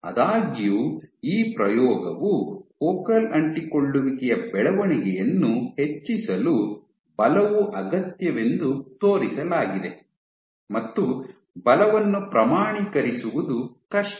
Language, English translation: Kannada, However, though this experiment demonstrated that forces are required for driving the growth of focal adhesions it is difficult to quantify the forces